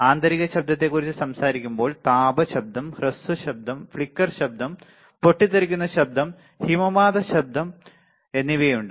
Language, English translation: Malayalam, When we talk about internal noise, there are thermal noise, short noise, flicker noise, burst noise and avalanche noise all right